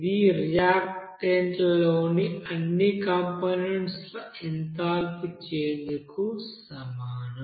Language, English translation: Telugu, So this is your total enthalpy in the reactant side